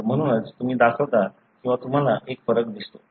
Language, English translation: Marathi, So, that’s why you show or you see a variation